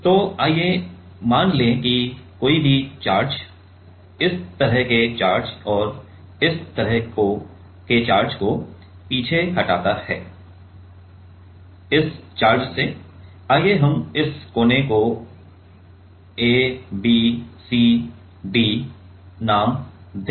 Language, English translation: Hindi, So, let us assume anyone charge like this charge and this charge is repealed by; repeal by this ok, let us name this corners A B C D